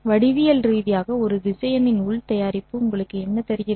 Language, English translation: Tamil, Geometrically what does the inner product of a vector with itself give you